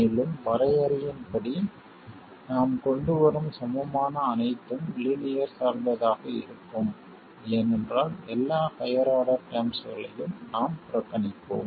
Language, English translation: Tamil, And by definition whatever equivalent we come up with will be linear because we will be neglecting all the higher order terms